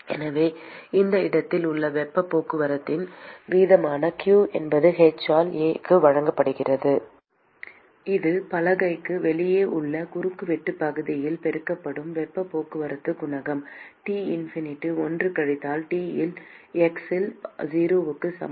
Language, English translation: Tamil, So, q which is the rate of heat transport at this location is given by h into A ,which is the heat transport coefficient multiplied by the cross sectional area which is outside the board into T infinity,1 minus T at x equal to 0 which is T1